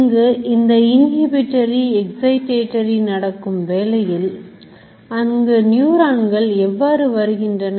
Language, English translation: Tamil, If you are so many inhibitory, excitatory, all sort of stuff going on, how does neuron actually get to it